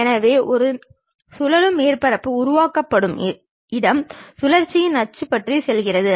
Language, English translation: Tamil, So, a revolved surface is generated space go about an axis of rotation